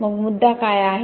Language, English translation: Marathi, So what is the issue